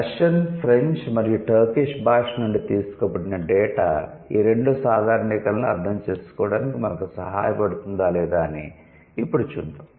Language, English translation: Telugu, So now let's see if the data that has been given from Russian, French and Turkish can help us to understand these two generalizations